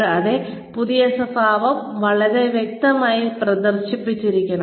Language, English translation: Malayalam, And, the new behavior should be very clearly displayed